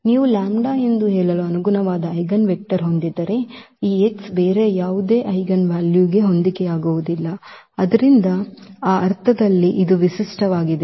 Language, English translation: Kannada, So, if you have an eigenvector corresponding to let us say the lambda, then this x cannot correspond to any other eigenvalue, so it is a unique in that sense